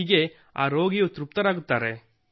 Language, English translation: Kannada, So those people remain satisfied